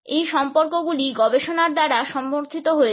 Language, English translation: Bengali, These associations have also been supported by research